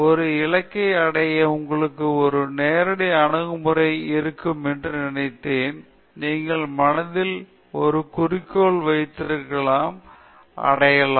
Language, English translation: Tamil, I thought it would be a directed approach to you know reach a goal, you would have a goal in mind and you would reach